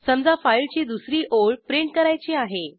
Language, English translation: Marathi, Now suppose we want to print the second line of the file